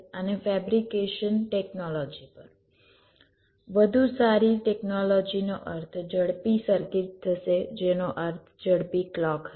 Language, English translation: Gujarati, better technology will mean faster circuit, which will mean faster clock